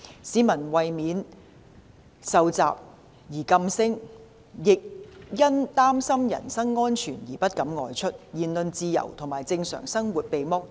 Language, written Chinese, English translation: Cantonese, 市民為免受襲而噤聲，亦因擔心人身安全而不敢外出，言論自由和正常生活被剝奪。, Members of the public are deprived of freedom of speech and a normal life as they silence themselves to avoid attacks and dare not go out because of personal safety concern